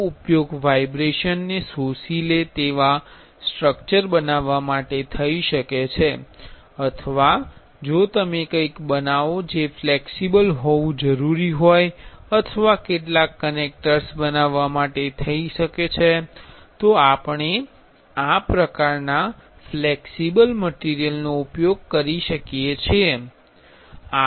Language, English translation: Gujarati, This can be used for making structure which absorbs vibration or if you are; if you are making something need to be flexible or some connectors, we can use this kind of flexible materials